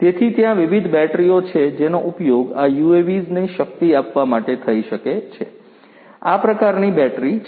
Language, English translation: Gujarati, So, there are different batteries that could be used to power these UAVs this is one such battery